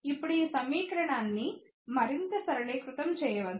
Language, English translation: Telugu, Now, this equation can be further simplified